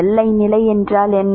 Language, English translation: Tamil, What is the boundary condition